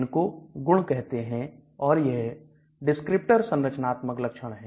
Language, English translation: Hindi, They are called properties and they are called descriptors, structural features